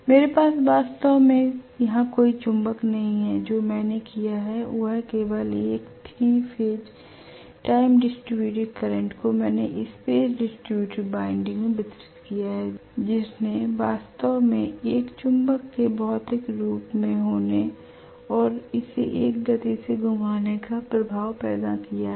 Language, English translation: Hindi, I am not having really physically any magnet here what I have done is only to have a 3 phase time distributed current I have given that is a space distributed winding that has created the effect of actually having a magnet physically and rotating it at a speed which is known as synchronous speed